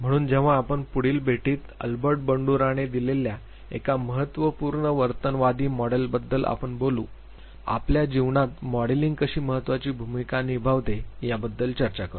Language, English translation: Marathi, So, when we meet next we would be talking about one important behaviorists model given by albert bandura we would be talking about how modeling plays an important role in our life